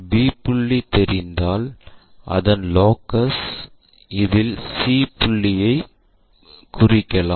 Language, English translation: Tamil, Once b is known we know this locus, so c point we can easily note it down